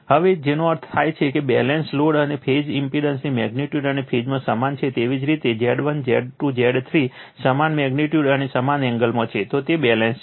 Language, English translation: Gujarati, Now, for balanced load phase impedance are equal in magnitude and in phase right that means, your Z 1, Z 2, Z 3 are in this same magnitude and same angle right, then it is balanced